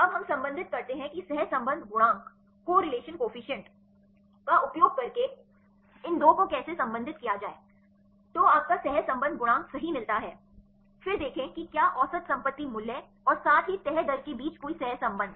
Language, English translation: Hindi, Now we relate how to relate these 2 using correlation coefficient you get the correlation coefficient right then see whether any correlation between the average property value as well as the folding rate